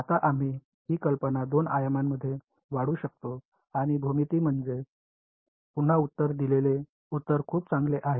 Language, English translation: Marathi, Now, we can extend this idea in two dimensions and the answer I mean the geometry again is very nice ok